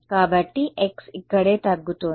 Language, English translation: Telugu, So, x is decreasing over here right